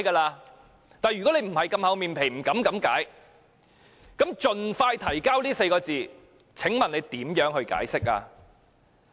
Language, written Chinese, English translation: Cantonese, 但是，如果你沒有這麼"厚臉皮"，不敢這樣解說的話，那麼，"盡快提交"這4個字，請問你如何解釋？, But if you are not so shameless as to interpret it in such a way then how do you understand the requirement that the Bill should be introduced as soon as practicable?